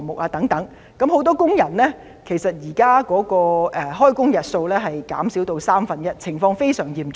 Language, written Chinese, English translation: Cantonese, 現時，很多工人的開工日數減少了三分之一，情況非常嚴重。, Now the number of work days of many workers has been reduced by one third and the situation is really severe